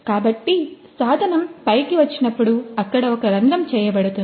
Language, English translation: Telugu, So, when the tool comes up it leaves a hole over there